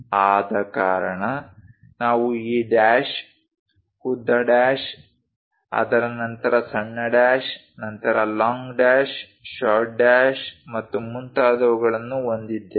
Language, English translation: Kannada, That is the reason, we have these dash, long dash, followed by short dash, followed by long dash, short dash and so on